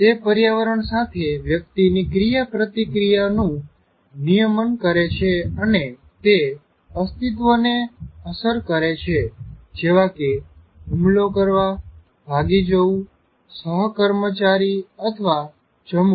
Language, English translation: Gujarati, And it regulates individuals interactions with the environment and can affect survival, such as whether to attack, escape, mate or eat